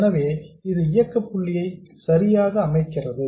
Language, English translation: Tamil, So, this sets the operating point correctly